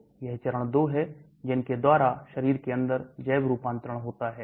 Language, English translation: Hindi, These are the 2 phases by which biotransformation takes place inside the body